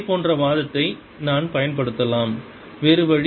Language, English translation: Tamil, i can apply similar argument the other way